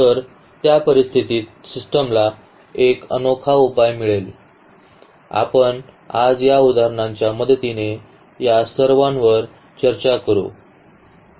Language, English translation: Marathi, So, in that case the system will have unique solution we will discuss all these with the help of example today itself